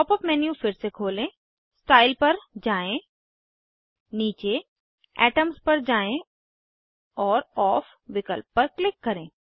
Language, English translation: Hindi, Open the pop up menu again and go to Style scroll down to Atoms and click on Off option